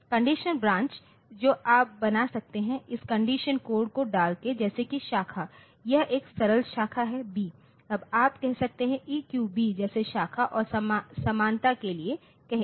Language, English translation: Hindi, Conditional branches you can of a make by having this condition codes like say branch is the simple branch is B now you can have say EQB like say for branch and equality like that